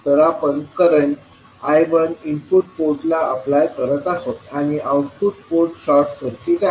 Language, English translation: Marathi, We are applying current I 1 to the input port and output port is short circuited